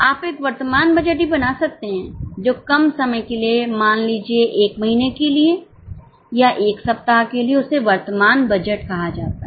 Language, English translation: Hindi, You can also make a current budget which is even for a shorter time, say for a month or for a week that can be called as a current budget